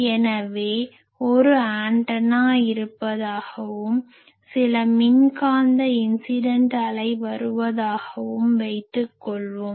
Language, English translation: Tamil, So, I can say that suppose I have a this is an antenna and some electromagnetic wave incident wave is coming